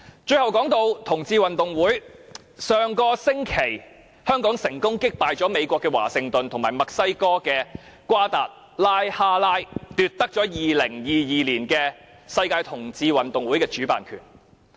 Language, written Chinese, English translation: Cantonese, 最後談到同志運動會，上星期香港成功擊敗美國華盛頓和墨西哥的瓜達拉哈拉，奪得2022年的世界同志運動會主辦權。, Lastly I want to speak on the Gay Games . Last week Hong Kong beat Washington DC and Mexicos Guadalajara and won the hosting right for the Gay Games 2022